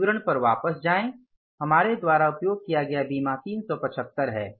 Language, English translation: Hindi, Go back to this statement and the insurance we have utilized is the 375